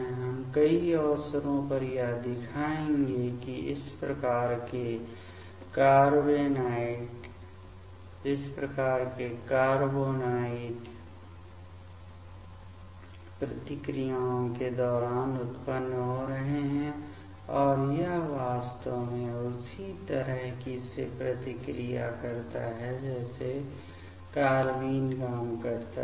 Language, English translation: Hindi, We will in many occasion we will show that this type of carbenoids are generating during the reactions and that actually reacts in similar way like carbene works